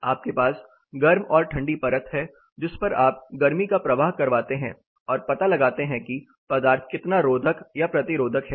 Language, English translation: Hindi, You have hot and cold sheet you pass on heat and find out how insulative or resistive the material is